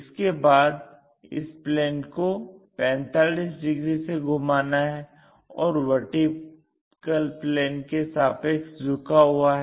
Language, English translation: Hindi, Once that is done, this plane has to be rotated by 45 degrees and thus, inclined to the vp